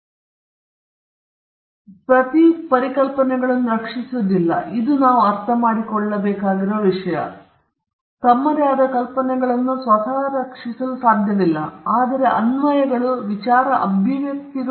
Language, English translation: Kannada, Now, this branch intellectual property rights generally protects applications of ideas; they don’t protect ideas per se this is something which we need to understand; ideas in themselves, by themselves cannot be protected, but applications and expressions of ideas can be protected